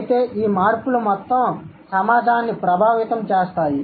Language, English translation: Telugu, Rather, these changes affect the entire community